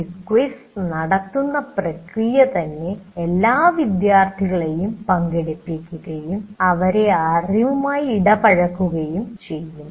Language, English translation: Malayalam, And the very process of conducting a quiz will make all the students kind of participate and get engaged with the knowledge